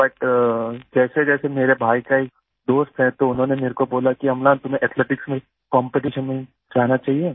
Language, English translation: Hindi, But as my brother's friend told me that Amlan you should go for athletics competitions